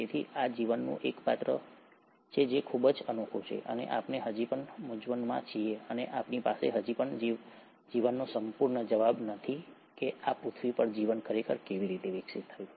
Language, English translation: Gujarati, So, this is one character of life which is very unique, and we are still puzzled and we still don’t have a complete answer as to life, how a life really evolved on this earth